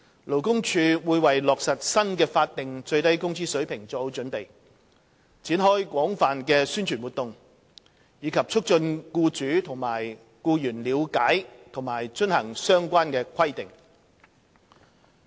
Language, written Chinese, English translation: Cantonese, 勞工處會為落實新的法定最低工資水平作好準備，展開廣泛的宣傳活動，以促進僱主和僱員了解及遵行相關規定。, The Labour Department will make preparations for the implementation of the new SMW rate and launch extensive publicity campaigns to facilitate the understanding of and compliance with the relevant provisions by employers and employees